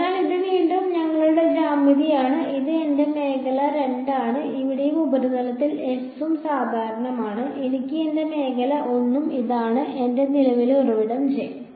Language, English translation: Malayalam, So, this is our geometry again, this is my region 2 with the normal over here and surface S and this is my region 1 and this is my current source J